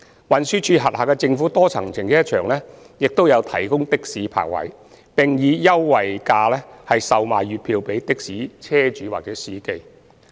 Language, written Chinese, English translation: Cantonese, 運輸署轄下的政府多層停車場亦有提供的士泊位，並以優惠價售賣月票予的士車主或司機。, The government multi - storey car parks under TD also provide parking spaces for taxis and monthly parking tickets are sold to taxi owners or drivers at a concessionary rate